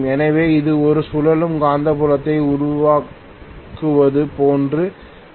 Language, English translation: Tamil, It will actually result in a revolving magnetic field